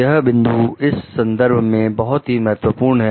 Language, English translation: Hindi, This point is very important in the sense